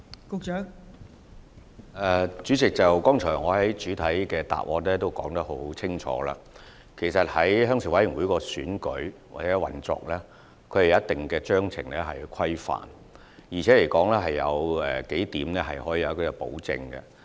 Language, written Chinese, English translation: Cantonese, 代理主席，我剛才在主體答覆已清楚回答，鄉事會的選舉和運作須受組織章程規範，而且有數點是獲得保證的。, Deputy President just now I have already given a clear answer in the main reply that the elections and operation of RCs are subject to their respective Constitutions under which several things are guaranteed